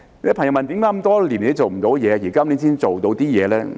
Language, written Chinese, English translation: Cantonese, 有些朋友問為甚麼這麼多年都做不到，到今年才稍為做到一點工作呢？, Some people asked why we had been unable to do this for so many years until this year when we managed to make just a bit of progress